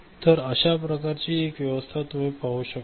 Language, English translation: Marathi, So, one such you know arrangement you can see over here ok